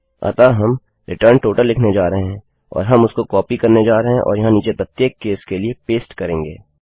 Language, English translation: Hindi, So we are going to say return total and we are going to copy that and paste it down for each case